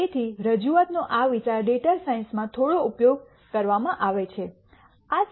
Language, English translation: Gujarati, So, this idea of represen tation is used quite a bit in data science